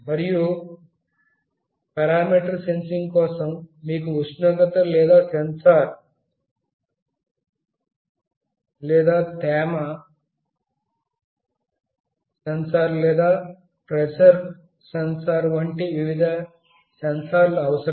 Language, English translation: Telugu, And for parameter sensing, you need various sensors like temperature sensor or humidity sensor or pressure sensor